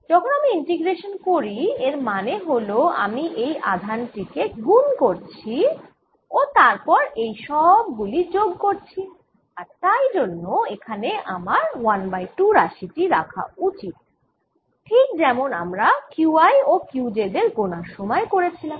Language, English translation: Bengali, when we do this integration, that means i am taking this charge, multiplying and adding all these charges, and therefore i should also be divided by a factor of two here, just like we did in not counting a charges q i and q j